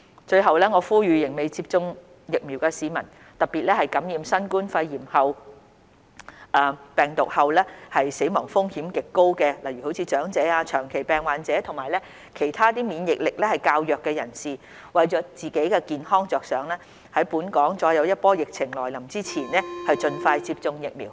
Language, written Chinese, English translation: Cantonese, 最後，我呼籲仍未接種疫苗的市民，特別是感染新冠病毒後死亡風險極高的長者、長期病患者及其他免疫力較弱人士，為自己健康着想在本港再有一波疫情來臨前盡快接種疫苗。, Finally I appeal to those who are not yet vaccinated especially senior citizens chronic patients and other immunocompromised persons who face a higher chance of death after COVID - 19 infection to get vaccinated as soon as possible for better self - protection before the next wave strikes Hong Kong